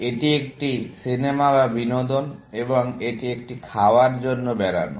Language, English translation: Bengali, This is a movie or entertainment, and this is a eating out